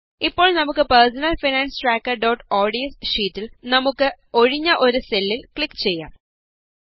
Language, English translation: Malayalam, Now in our personal finance tracker.ods sheet, let us click on a empty cell